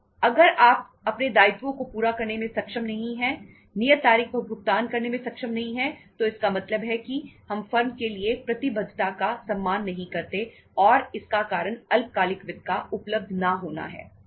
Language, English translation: Hindi, If you are not able to meet your obligations, not able to make the payments on the due date it means we won't be able to honor the commitment of the firm and because the reason is there is a no availability of the short term finance